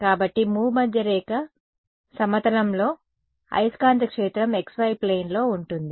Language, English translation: Telugu, So, in the equatorial plane, the magnetic field is in the x y plane